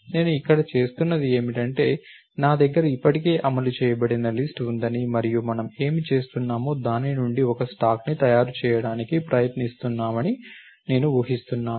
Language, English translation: Telugu, So, what I am doing over here is I am assuming that I have a list which is already implemented and what we are doing is we are trying to make a stack out of it